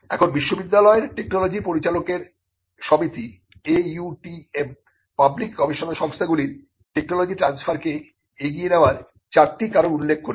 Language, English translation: Bengali, Now, the Association of University Technology Managers – AUTM, lists out four reasons for public research organizations to advance technology transfer